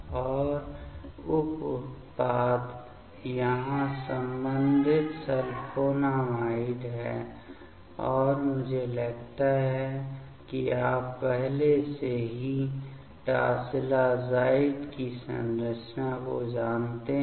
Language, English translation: Hindi, And the by product is the corresponding sulfonamide here and I think you know already that structure of tosylazide